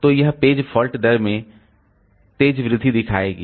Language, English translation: Hindi, So, it will show a sharp increase in the page fault rate